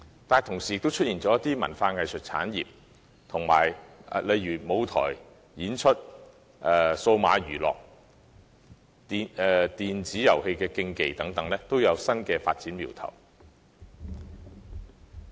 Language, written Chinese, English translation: Cantonese, 與此同時，本港亦出現了一些文化技術產業，例如舞台、演出、數碼娛樂及電子遊戲競技等新發展苗頭。, In the meantime some cultural and technical industries have emerged in Hong Kong such as new developments in stage setting performance digital entertainment and video game tournament